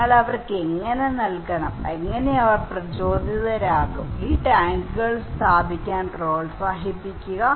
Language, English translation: Malayalam, And how we should provide to them, so that they would be motivated, encourage to install these tanks